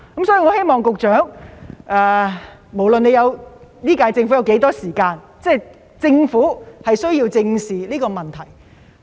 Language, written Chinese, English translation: Cantonese, 所以，局長，無論今屆政府還有多少時間，也需要正視這個問題。, Therefore Secretary no matter how much time the current - term Government has left it needs to address the problem squarely